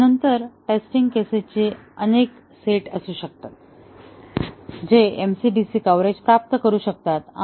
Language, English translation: Marathi, But then, there can be several sets of test cases which can achieve MCDC coverage